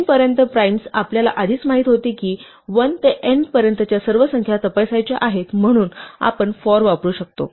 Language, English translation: Marathi, Primes up to n, we knew in advance that we have to check all the numbers from 1 to n, so we could use for